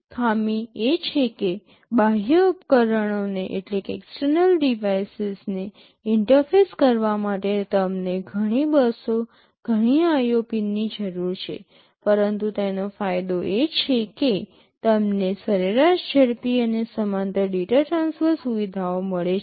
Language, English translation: Gujarati, The drawback is that you need so many buses, lot of IO pins to interface the external devices, but the advantage is that you get on the average faster and parallel data transfer features